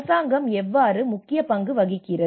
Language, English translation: Tamil, So how government plays an important role